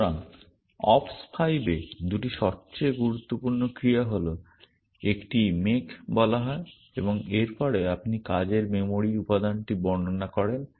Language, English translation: Bengali, So, the 2 most important actions in ops 5 is one is called make and after this you describe the working memory element